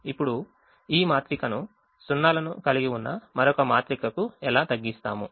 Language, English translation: Telugu, now how do we reduce this matrix to another matrix which has zeros